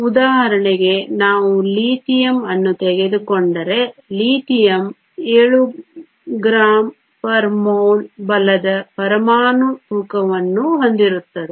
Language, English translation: Kannada, For example if we take Lithium, Lithium has an atomic weight of 7 grams per mole right